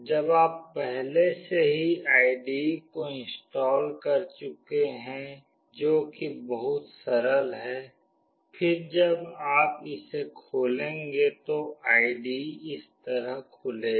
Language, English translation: Hindi, When you have already done with installing the IDE which is fairly very straightforward, then when you open it the IDE will open as like this